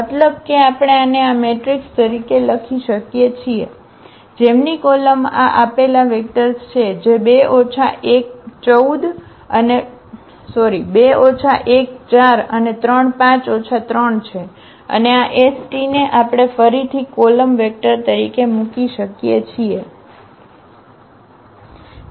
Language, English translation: Gujarati, Meaning that we can write down this as this matrix whose columns are these given vectors are 2 minus 1 4 and 3 5 minus 3 and this s t we can put again as a column vector there